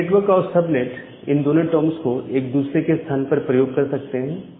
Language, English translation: Hindi, Now, we use the term network and the subnet interchangeably